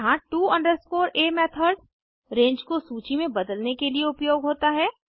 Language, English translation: Hindi, Here to a method is used to convert a range to a list